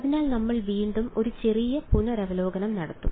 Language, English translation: Malayalam, So again we will do a little bit of revision